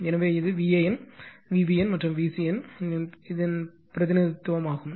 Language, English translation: Tamil, So, this is a representation of v AN, v BN and v CN right